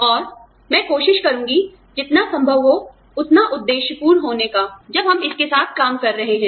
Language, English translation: Hindi, And, i will try to, you know, be as objective as possible, while we are dealing with it